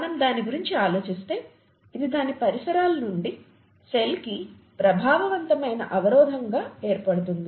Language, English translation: Telugu, If we think about it, this forms an effective barrier to the cell from its surroundings